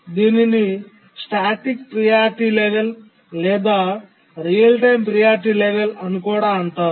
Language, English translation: Telugu, This is also called a static priority level or real time priority level